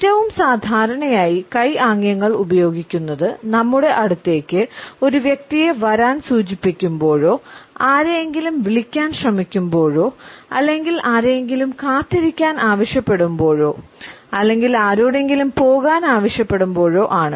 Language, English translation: Malayalam, The most common hand gestures are when we try to call somebody indicating the person to come close to us or when we ask somebody to wait or we ask somebody to go away